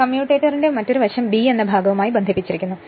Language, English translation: Malayalam, Another side of the commutator connected to segment side b right